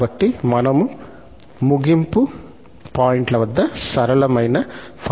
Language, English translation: Telugu, So, we get rather simple result at the end points